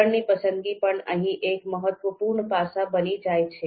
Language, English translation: Gujarati, So selection of a scale also becomes an important aspect here